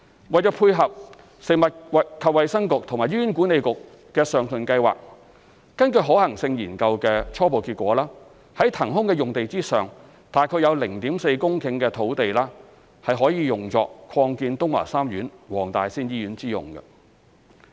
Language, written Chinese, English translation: Cantonese, 為配合食衞局及醫管局的上述計劃，根據可行性研究的初步結果，在騰空的用地上有約 0.4 公頃的土地，可作擴建東華三院黃大仙醫院之用。, To dovetail with FHBs and HAs aforesaid plan based on the preliminary results of the Study about 0.4 hectare of land on the vacated site has been reserved for the expansion of WTSH